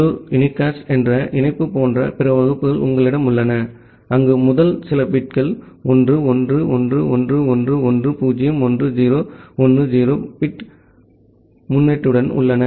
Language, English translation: Tamil, Then you have other classes like, the link local unicast, where the first few bits are 1111111010 with a 10 bit prefix